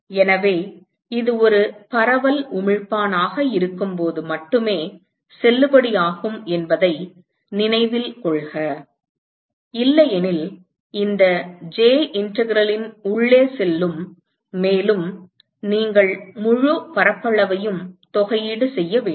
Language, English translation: Tamil, So, note that this is valid only when it is a diffuse emitter; otherwise, this j will go inside the integral and you will have to integrate over the whole area